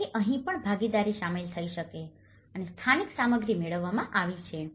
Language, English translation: Gujarati, So, even here, the participation has been incorporated and getting the local materials